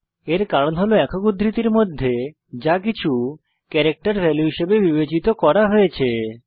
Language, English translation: Bengali, This is because anything within the single quotes is considered as a character value